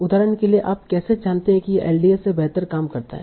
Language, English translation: Hindi, So for example if it is and how do you know that this works better than LDA